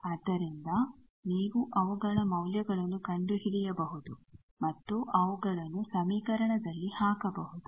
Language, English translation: Kannada, So, you can find out their values and those values you can put